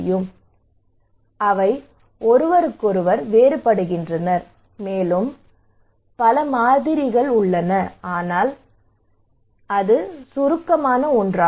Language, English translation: Tamil, Well they vary from each other there are more variables, but that was the concise one